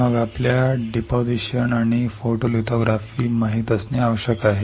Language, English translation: Marathi, Then we need to know deposition and photolithography